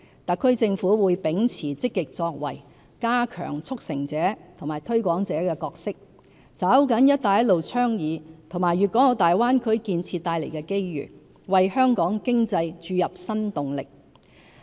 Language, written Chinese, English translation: Cantonese, 特區政府會秉持積極作為，加強"促成者"和"推廣者"的角色，抓緊"一帶一路"倡議和粵港澳大灣區建設帶來的機會，為香港經濟注入新動力。, The HKSAR Government will act proactively strengthen our roles in serving as facilitator and promoter and seize the opportunities brought by the Belt and Road Initiative and the Greater Bay Area development with a view to generating new impetus for our economy